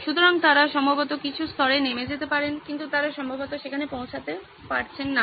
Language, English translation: Bengali, So they can probably get down to some level but they probably are not really getting there